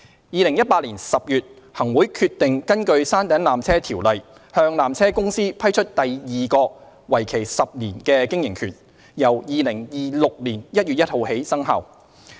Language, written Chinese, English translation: Cantonese, 2018年10月，行會決定根據《條例》向纜車公司批出第二個為期10年的經營權，由2026年1月1日起生效。, In October 2018 the Chief Executive in Council approved under PTO the grant of the second 10 - year operating right of the peak tramway to PTC commencing 1 January 2026